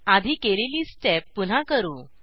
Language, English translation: Marathi, Repeat the same step as before